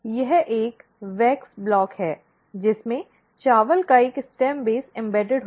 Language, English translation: Hindi, This is a wax block which has a stem base of the rice embedded in it